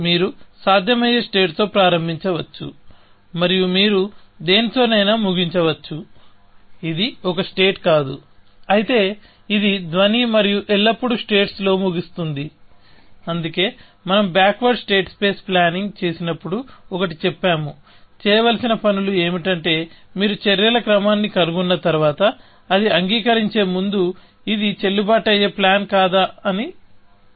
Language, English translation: Telugu, You could start with a possible state and you could end up with something, which is not a state, whereas, this was sound and you would always end up in states, which is why, when we did backward state space planning, we said one of things to do is that after you found a sequence of actions, check, whether it is a valid plan or not, before accepting it